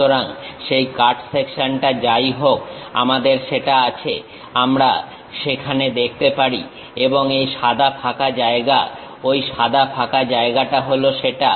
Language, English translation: Bengali, So, whatever that cut section we have that we are able to see there and this white blank space, that white blank space is that